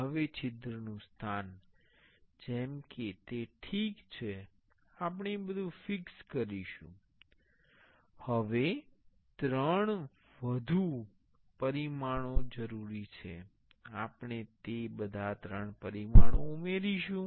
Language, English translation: Gujarati, Now, the position of the hole such as it is ok, we will be fixing everything no three more dimensions are needed, we will be adding all those three dimensions